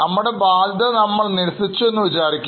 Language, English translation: Malayalam, Because we have accepted our obligation